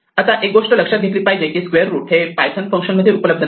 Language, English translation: Marathi, Now one thing to remember is that actually square root is not a function available by default in python